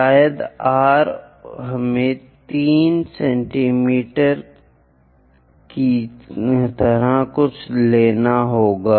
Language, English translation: Hindi, Maybe r let us pick something like 3 centimeters